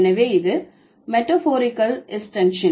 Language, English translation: Tamil, So, this is a metaphorical extension